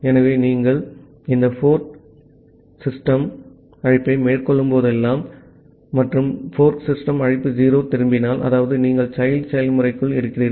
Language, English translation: Tamil, So, whenever you are making this fork system call and if the fork system call is returning 0; that means, you are inside the child process